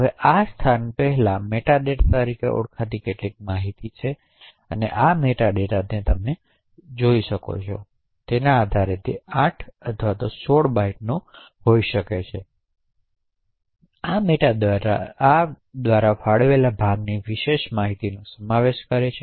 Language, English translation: Gujarati, Now prior to this location there are some information known as meta data, this meta data could be either of 8 or 16 bytes depending on the system that you are running, so this meta data comprises of information about this allocated chunk